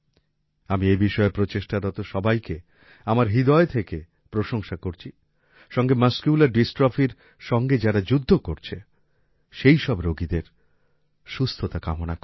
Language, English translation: Bengali, I heartily appreciate all the people trying in this direction, as well as wish the best for recovery of all the people suffering from Muscular Dystrophy